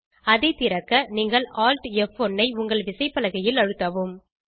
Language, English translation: Tamil, To open this menu, press Alt+F1 keys simultaneously on your keyboard